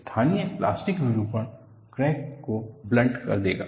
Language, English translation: Hindi, The local plastic deformation will make the crack blunt